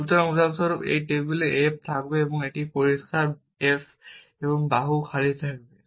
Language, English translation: Bengali, So for example, this will have on table f and it will have clear f and arm empty